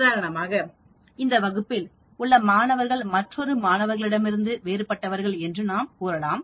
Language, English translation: Tamil, For example, we can say students in this class are different from the students in another class